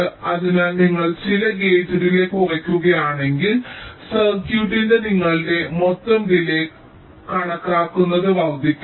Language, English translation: Malayalam, so if you reduce some of the gate delays, your total delay estimate of the circuit should not increase